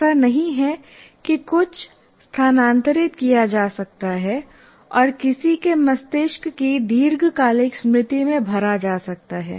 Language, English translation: Hindi, It is not as if something can be transferred and permanently stored in the long term memory of anybody's brain